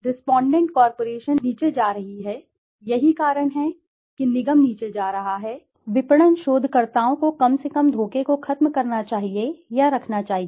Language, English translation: Hindi, The respondent co operation has been going down; that is why I started with, the corporation has been going down, marketing researchers should eliminate or keep deception to a minimum